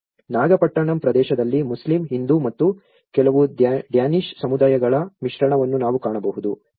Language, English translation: Kannada, The Nagapattinam area, we can see a mix of Muslim, Hindu and also some of the Danish communities live there